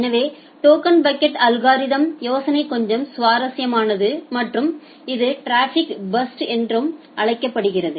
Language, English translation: Tamil, So, the token bucket algorithm the idea is little interesting and it supports something called traffic burst